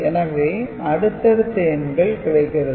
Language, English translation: Tamil, So, first 4 number is obtained